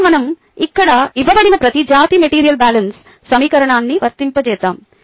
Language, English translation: Telugu, ok, now let us apply the material balance equation for each species that we have given here